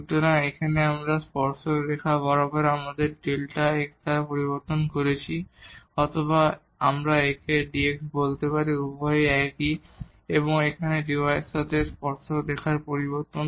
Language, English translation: Bengali, So, this is here along the tangent line; we have made the change here by delta x or we can call it d x both are same and here that is the change in the tangent line with dy